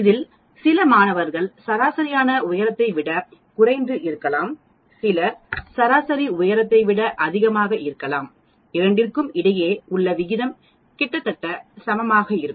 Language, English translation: Tamil, That means there will be an average, there will be some students who will have less height than the average, some students will have greater than the average and the proportion will be almost same